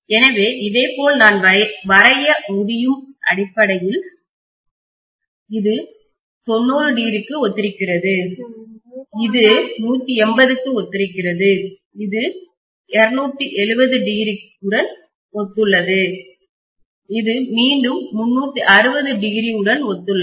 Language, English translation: Tamil, So similarly I should be able to draw basically this corresponds to 90 degree, this corresponds to 180 degrees, and this corresponds to 270 degrees, and this corresponds to 360 degrees again